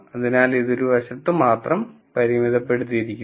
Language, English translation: Malayalam, So, it only bounds this on one side